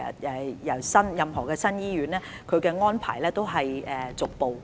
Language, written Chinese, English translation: Cantonese, 就任何新建醫院所訂的安排皆是逐步落實的。, The arrangements for any newly - built hospitals are to be implemented in phases